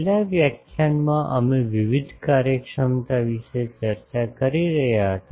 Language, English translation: Gujarati, In the last lecture we were discussing about the various efficiencies